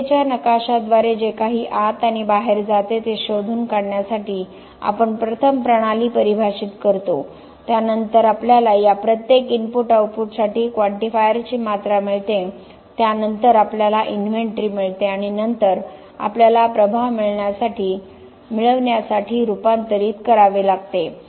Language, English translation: Marathi, We first define the system we find out whatever goes in and out by a process map then we get quantifiers quantities for each of this input output then we get the inventory and then we have to convert to get the impact